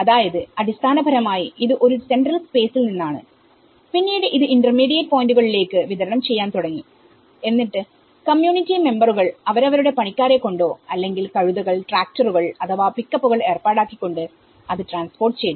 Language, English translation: Malayalam, So, it is basically from one central space, then it started distributing to the intermediate points and then the community members facilitated themselves to transport to that whether by using their own labour or hiring the assistance of donkeys or tractors or any pickups